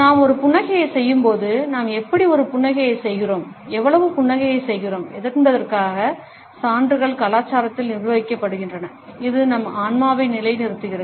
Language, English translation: Tamil, Evidence suggest that when we do a smile, how we do a smile, how much we do a smile, etcetera is governed by the culture, which has conditioned our psyche